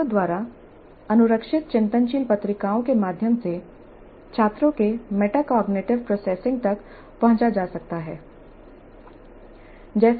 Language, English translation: Hindi, The metacognitive processing of the students can be assessed through reflective journals maintained by the students